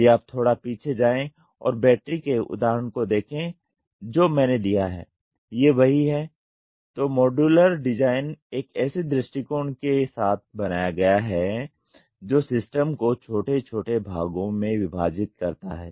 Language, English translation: Hindi, If you go back and look at the example of battery what I gave is the same, modular design is made with an approach that subdivides a system into smaller parts